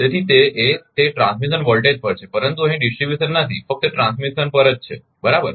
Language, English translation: Gujarati, So, it is at that transmission voltage, but not here not distribution only at the transmission right